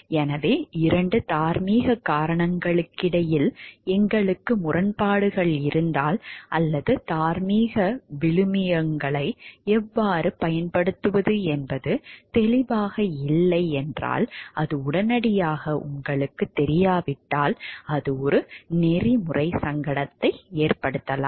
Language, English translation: Tamil, So, if we are having conflicts between two moral reasons or how to apply the moral values, if it is not clear and, if it is the outcome that you get from it is not obvious immediately there, it may have a ethical dilemma